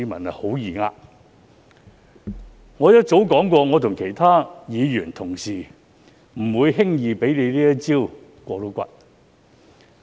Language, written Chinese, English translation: Cantonese, 我早已說過，我和其他議員不會輕易讓他"過骨"。, As I have said long time ago other Members and I would not let him get it through so easily